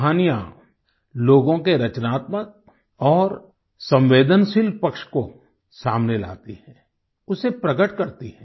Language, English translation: Hindi, Stories express and bring to the fore, the creative and sensitive facets of human beings